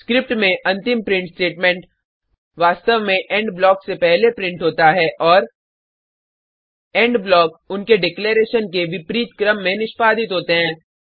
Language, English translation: Hindi, The last print statement in the script actually gets printed before the END block statements and END blocks gets executed in the reverse order of their declaration